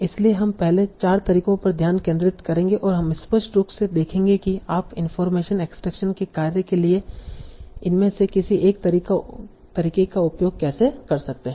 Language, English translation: Hindi, So we will focus on the first four methods and we will see clearly how you can use one of these methods for the task of information extraction